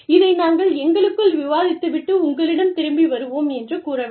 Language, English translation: Tamil, We will discuss this, within among ourselves, and we will get back to you